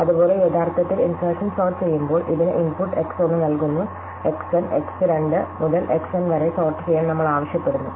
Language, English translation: Malayalam, Likewise, when we actually do insertion sort, we give it the input X1 to Xn and we ask to sort X2 to Xn